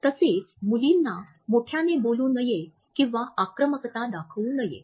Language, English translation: Marathi, Similarly girls are encouraged not to talk loudly or to show aggression